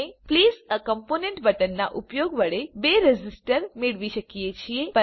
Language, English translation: Gujarati, We can get the two resistors using the Place a component button